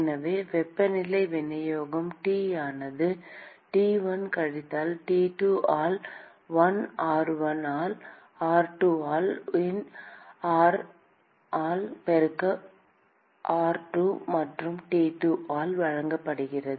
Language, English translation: Tamil, So, the temperature distribution T is given by T1 minus T2 by ln r1 by r2 multiplied by ln r by r2 plus T2